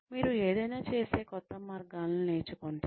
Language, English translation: Telugu, You learn new ways of doing something